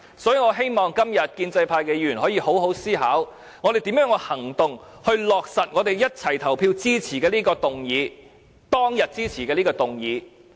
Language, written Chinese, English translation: Cantonese, 所以，我希望今天建制派議員可以好好思考，如何以行動落實我們一齊投票支持的這項議案，當天支持的這項議案。, Today I hope Members of the pro - establishment camp will consider carefully how to put to action the motion we have all voted for . This is a motion we supported at that earlier meeting